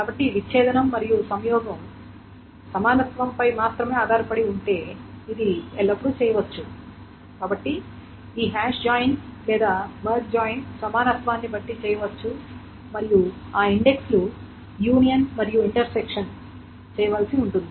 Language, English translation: Telugu, If the disjunction and the conjunction is only based on equality, then this hash join or merge join may be done depending on the equality and then those indexes union and intersection needs to be done